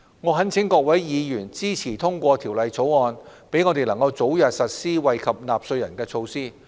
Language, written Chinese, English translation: Cantonese, 我懇請各位議員支持通過《條例草案》，讓我們能早日實施惠及納稅人的措施。, I implore Members to support the passage of the Bill to enable our early implementation of the measures which will benefit taxpayers